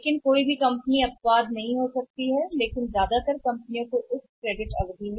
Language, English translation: Hindi, But no company they can be exceptions but largely the companies are added to this credit Period